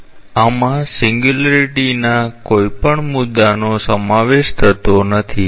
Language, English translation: Gujarati, So, this does not include any point of singularity